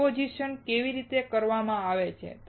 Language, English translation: Gujarati, How the deposition is done